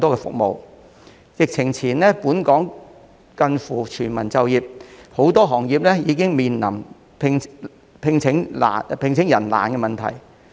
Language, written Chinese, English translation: Cantonese, 在疫情前，本港近乎全民就業，但很多行業已面對難以聘請員工的問題。, Before the epidemic Hong Kong was close to full employment and a lot of industries have already expressed difficulties in hiring staff